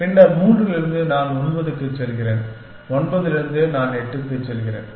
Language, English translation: Tamil, Then, from 3 I am going to 9, 9 I am going to 8 essentially